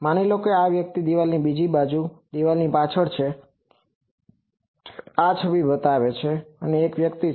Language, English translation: Gujarati, Suppose, this person is behind this wall from the other side of the wall, this image shows that there is a person